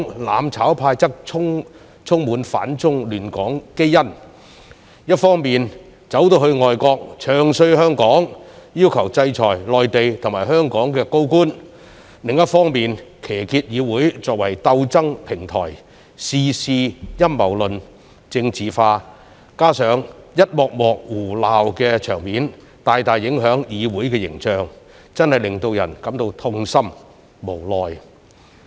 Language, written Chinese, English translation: Cantonese, "攬炒派"則充滿反中亂港基因，一方面跑到外國"唱衰"香港，要求制裁內地及香港高官；另一方面，騎劫議會作為鬥爭平台，事事陰謀論、政治化，加上一幕幕胡鬧的場面，大大影響議會形象，真的令人感到痛心、無奈。, With their anti - China destabilizing Hong Kong genes the mutual destruction camp on the one hand badmouthed Hong Kong in foreign countries and requested them to sanction Mainland and Hong Kong senior officials; while on the other hand hijacked the Council and used it as a platform for their resistance actions . They were conspiracy theorists and politicalized everything . That coupled with many scenes of nonsense have significantly undermine the image of the Council which made us feel really sad and helpless